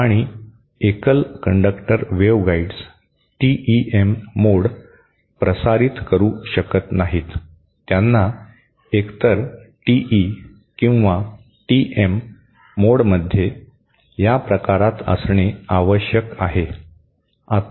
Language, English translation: Marathi, And single conductor waveguides cannot transmit TEM mode, they have to classmate to either TE or TM mode